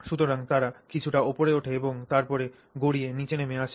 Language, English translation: Bengali, They roll up a little bit and then they roll down